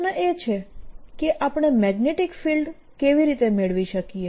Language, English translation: Gujarati, the question is, how do we get the magnetic field